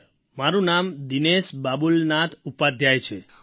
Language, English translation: Gujarati, Sir, my name is Dinesh Babulnath Upadhyay